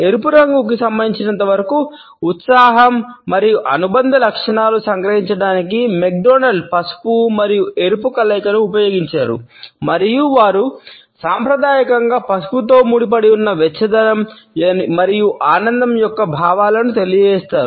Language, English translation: Telugu, McDonald has used yellow and red combination to capture the associated traits of excitement as far as red is concerned, and they conveyed feelings of warmth and happiness which are conventionally associated with yellow